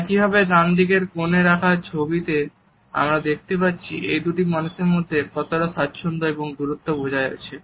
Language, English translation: Bengali, Similarly on the right hand side corner photograph, we can look at the ease and the distance which has been maintained by these two people